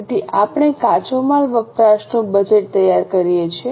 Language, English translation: Gujarati, Based on this we will have to prepare raw material purchase budget